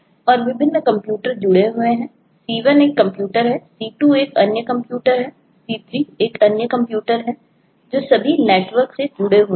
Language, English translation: Hindi, c1 is one computer, c2 is another computer, c3 is another computer which are all connected to the network